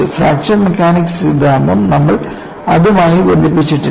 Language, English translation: Malayalam, You have not attached the fraction mechanics theory to it